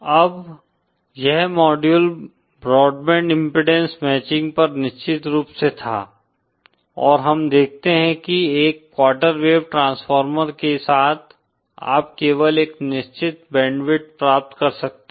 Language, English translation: Hindi, Now this module was of course on broadband impedance matching, and we see that with a quarter wave transformer you can get only a certain band width